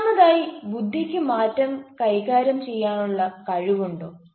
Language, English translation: Malayalam, the second thing is: has the ability to manage change